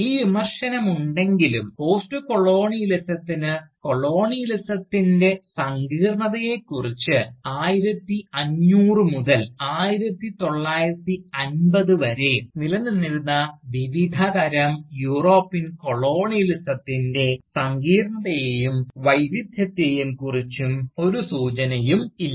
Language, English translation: Malayalam, So, in spite of the Criticism, that Postcolonialism does not have a clue, about the complexity of Colonialism, about the complexity and variety of the different kinds of European Colonialism, that existed from say, between 1500 to 1950